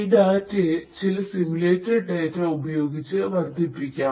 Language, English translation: Malayalam, These data could be even augmented with certain simulated data as well